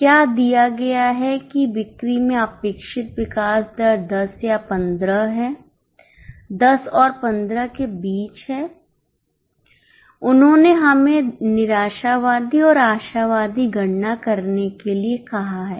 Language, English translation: Hindi, The expected growth rate in sales is 10 or 15 somewhere between 10 and 15 they have asked us to make pessimistic and optimistic calculation